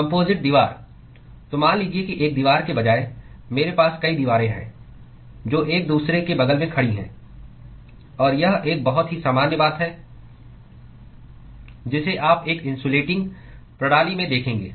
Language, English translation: Hindi, Composite wall: So supposing instead of one wall, I have multiple walls which are stacked with next to each other; and this is the very, very common thing that you would observe in a insulating system